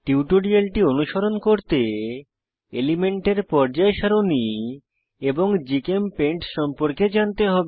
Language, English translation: Bengali, To follow this tutorial, you should be familiar with * Periodic table of elements and* GChemPaint